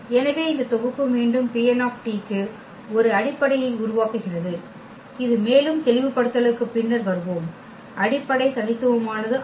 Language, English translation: Tamil, So therefore, this set forms a basis for P n t again which we will also come later on to more clarification, the basis are not unique